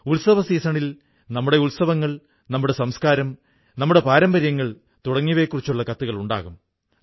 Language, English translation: Malayalam, During the festival season, our festivals, our culture, our traditions are focused upon